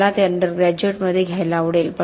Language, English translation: Marathi, I would love to have it in the under graduate